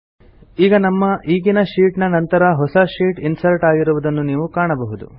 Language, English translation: Kannada, We see that a new sheet is inserted after our current sheet